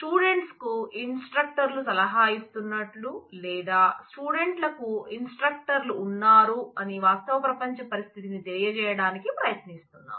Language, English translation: Telugu, Trying to convey the real world situation that students are advised by the instructors or students have instructors and so on